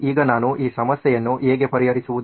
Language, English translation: Kannada, Now how do I solve this problem